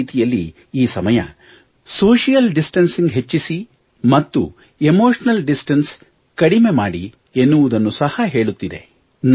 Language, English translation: Kannada, In a way, this time teaches us to reduce emotional distance and increase social distance